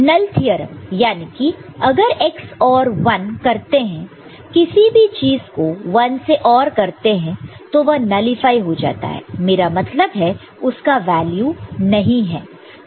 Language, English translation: Hindi, Null, this is theorem null theorem so, that means, x if ORed with 1 anything ORed with one gets nullified I mean, that has got no value